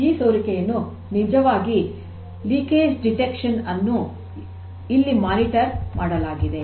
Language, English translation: Kannada, So, this leakage is actually monitored like the detection of leakage what we were discussing